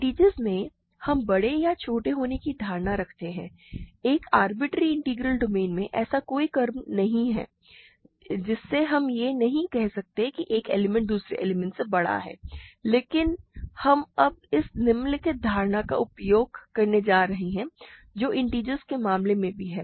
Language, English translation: Hindi, In integers we have the notion of being big or small, in an arbitrary integral domain there is no order we cannot say one element is bigger than another element, but we are now going to use this following notion which also holds in the case of integers